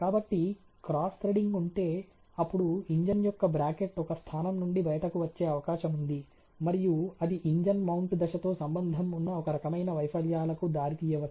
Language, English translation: Telugu, So, because if there is cross threading there is a possibility the bracket of the engine, may come out from one of the sites it may result some kind of failures associated with that engine mounting step